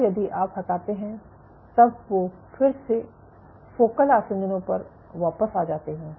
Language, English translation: Hindi, And if you remove then again they come back to the focal adhesions ok